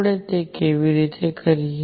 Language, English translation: Gujarati, How do we do that